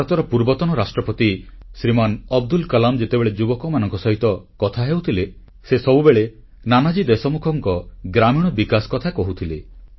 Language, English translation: Odia, India's former President Shriman Abdul Kalamji used to speak of Nanaji's contribution in rural development while talking to the youth